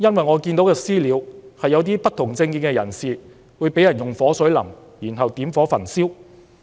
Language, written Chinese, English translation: Cantonese, 我看到的"私了"，是一些不同政見人士被人淋火水後點火焚燒。, What I see in vigilantism is that one dissident was ignited after being splashed with kerosene